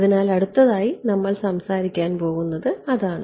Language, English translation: Malayalam, So, that is what we are going to talk about next right